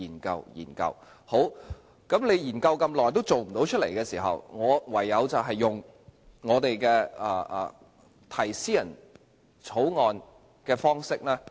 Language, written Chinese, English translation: Cantonese, 既然她研究這麼久都落實不到，我唯有以私人條例草案的方式提出。, Since she failed to implement the recommendations after studying them for such a long time I have no choice but to propose amendments by introducing a private bill